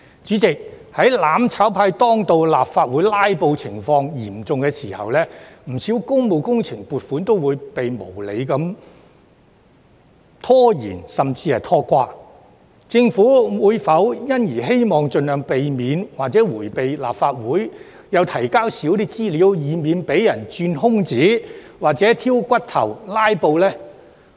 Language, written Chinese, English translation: Cantonese, 主席，在"攬炒派"當道，立法會"拉布"情況嚴重的時候，不少工務工程撥款均被無理拖延甚至拖垮，政府是否因而希望盡量迴避立法會，並提交少一些資料，以免被人鑽空子、挑骨頭或"拉布"呢？, President the funding applications of many public works projects were procrastinated or even aborted when the mutual destruction camp was dominant and filibustering in the Legislative Council was serious . Does the Government try to avoid the Legislative Council in view of this and provide as little information as possible in a bid to prevent people from taking advantage of loopholes nitpicking or filibustering?